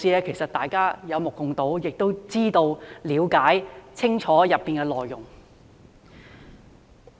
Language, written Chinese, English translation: Cantonese, 其實，大家有目共睹，亦知道和清楚了解當中的內容。, Actually it is there for all to see . We know and understand clearly what it is about . Let us go back to June